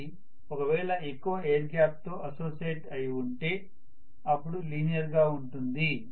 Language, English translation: Telugu, If it is only associated with a large amount of air gap it should have been linear